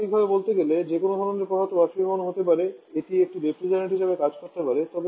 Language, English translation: Bengali, Theoretical speaking, any kind of substance which can evaporate can act as a refrigerant